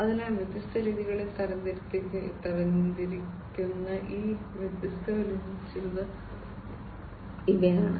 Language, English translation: Malayalam, So, these are some of these different challenges categorized in different ways